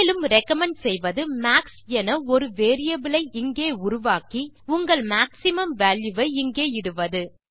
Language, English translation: Tamil, What I also recommend you to do is create a variable here called max and put your maximum value here This will do exactly the same thing